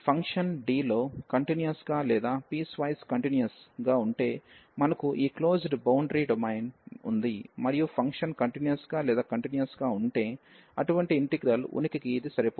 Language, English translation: Telugu, If this function is continuous or piecewise continuous in D, so we have this closed boundary domain and if the function is piecewise continuous or continuous, so this is sufficient for the existence of such integrals